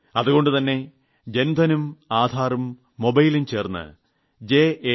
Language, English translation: Malayalam, So Jan Dhan, Aadhar and Mobile Jam J